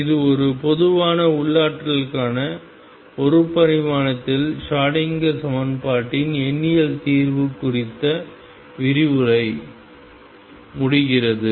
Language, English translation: Tamil, That concludes the lecture on numerical solution of Schrodinger equation in one dimension for a general potential